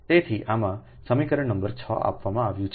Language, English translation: Gujarati, so in this is given equation number six, right